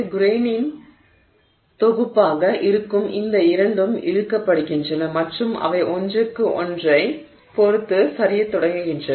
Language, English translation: Tamil, These two are being the set of grains are being, you know, pulled apart and they start sliding with respect to each other